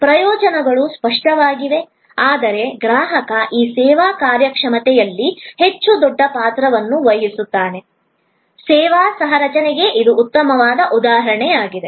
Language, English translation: Kannada, Advantages are obvious, but the customer is playing the much bigger role in this service performance; this is a good example of service co creation